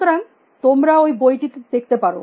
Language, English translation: Bengali, So, maybe it should look at that book